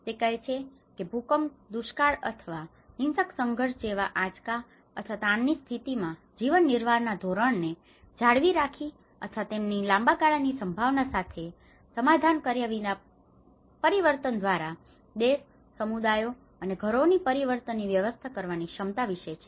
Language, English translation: Gujarati, It says the ability of countries, communities, and households to manage change, by maintaining or transforming living standards in the face of shocks or stresses such as earthquakes, droughts or violent conflict without compromising their long term prospects